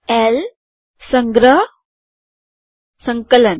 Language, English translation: Gujarati, L, Save, Compile